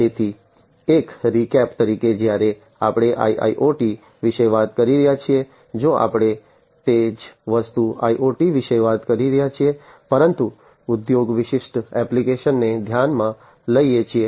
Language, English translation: Gujarati, So, just as a recap when we are talking about IIoT, we are essentially if we are talking about the same thing IoT, but considering industry specific applications